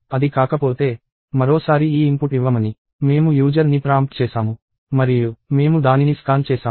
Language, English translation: Telugu, If it is not, we prompted the user to give this input once more and we scanned it